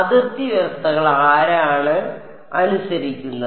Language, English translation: Malayalam, boundary conditions are obeyed by whom